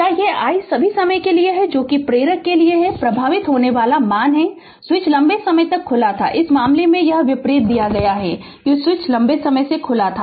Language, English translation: Hindi, Can you this is the I for all time right that is I which current flowing to one in the inductor assume that the switch was open for a long time here in this case it is given opposite that switch was opened for a long time right